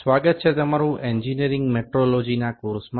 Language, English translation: Gujarati, Welcome back to the course on Engineering Metrology